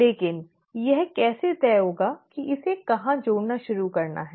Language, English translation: Hindi, But how will it decide where to start adding